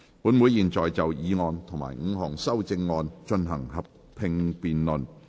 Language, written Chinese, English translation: Cantonese, 本會現在就議案及5項修正案進行合併辯論。, This Council will now proceed to a joint debate on the motion and the five amendments